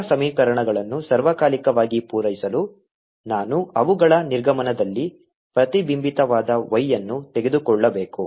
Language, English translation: Kannada, to satisfy all the equations all the time, therefore, i have to then take at their exits a y reflected also